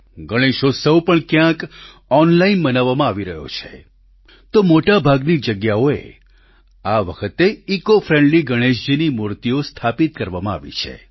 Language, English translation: Gujarati, Even Ganeshotsav is being celebrated online at certain places; at most places ecofriendly Ganesh idols have been installed